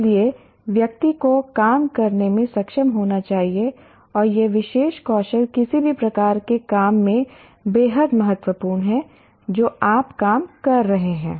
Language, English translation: Hindi, So one should be able to work and this particular skill is extremely important irrespective the type of job that you are working